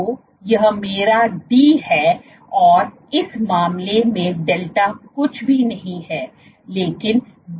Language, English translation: Hindi, So, this is my d in that case delta is nothing, but d cosθ